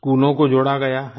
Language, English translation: Hindi, Schools have been integrated